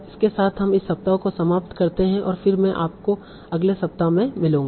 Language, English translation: Hindi, So with that we end this week and I'll then see you the next week